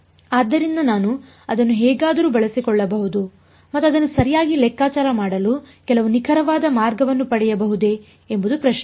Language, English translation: Kannada, So, the question is can I still use that somehow and get some accurate way of calculating it ok